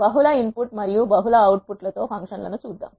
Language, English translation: Telugu, Let us see the functions with multiple input and multiple outputs